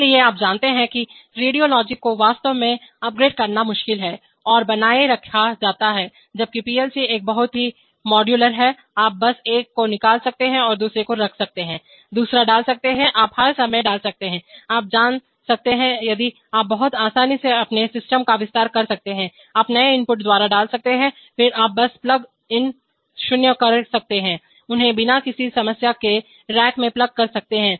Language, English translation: Hindi, Therefore these are you know radiologic is actually difficult to upgrade and maintained while plc is a very modular, you can just take out one and you can put it another, put another, you can all the time put, you know, you can, if you can expand your system very easily, you can put by new input you can then simply plug in, plug them into the racks without any problems